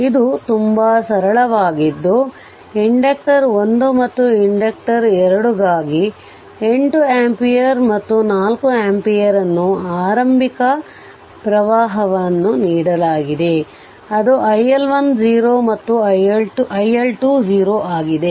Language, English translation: Kannada, So, this is very simple now initial current that 8 ampere and ah your 4 ampere is given for inductor 1 and inductor 2 that is iL1 0 and iL2 0